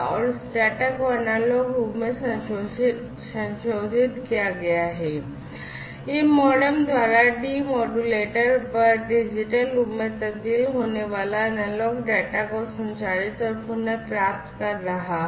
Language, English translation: Hindi, And, this data is modulated into analog form at it is transmitting site and the received analog data, by the MODEM is transformed into the digital form at the demodulator side